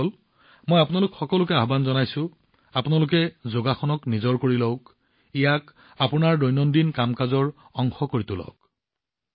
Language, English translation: Assamese, Friends, I urge all of you to adopt yoga in your life, make it a part of your daily routine